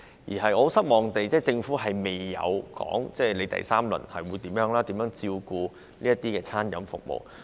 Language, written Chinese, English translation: Cantonese, 令我感到失望的是，政府未有公布第三輪紓困措施及將會如何照顧餐飲服務業。, I am disappointed that the Government has not announced the third - round relief measures and how it will cater for the food and beverage services sector